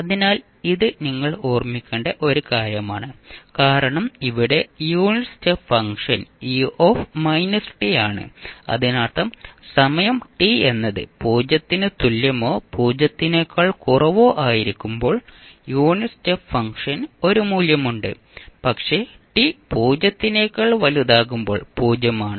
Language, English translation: Malayalam, So, this is something which you have to keep in mind because here the unit is step function is u minus t it means that the value of unit step function is like this were you have a value at time t is equal to, less than t is equal to 0 but it is 0, when t greater than 0